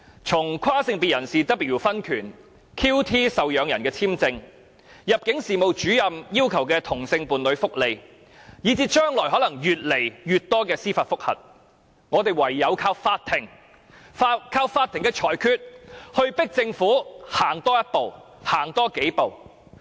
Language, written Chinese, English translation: Cantonese, 從跨性別人士 W 的婚權案、QT 受養人的簽證案、入境事務主任要求同性伴侶福利案，以至將來可能會有越來越多司法覆核，我們唯有靠法庭的裁決迫使政府行多一步，行多數步。, As a result people can only turn to the court for relief as the last resort . Some examples are the cases involving a transsexual person W seeking marital right QTs dispute over the denial of dependant visa to her partner and an immigration officers fight for civil service welfare benefits for his same - sex husband . There are likely to be more and more judicial review cases in future